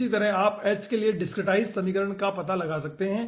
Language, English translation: Hindi, similarly, you can find out the discretized equation for h